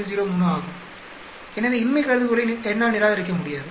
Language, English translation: Tamil, 03, so I cannot reject the null hypothesis